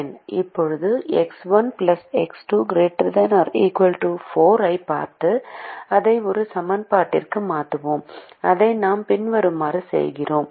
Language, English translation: Tamil, now let's look at x one plus x two greater than or equal to four, and convert it to and equation